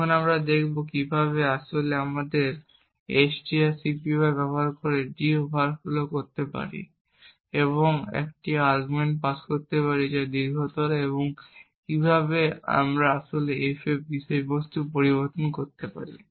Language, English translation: Bengali, Now we will see how we can actually overflow d using this strcpy and passing an argument which is longer and how we could actually modify the contents of f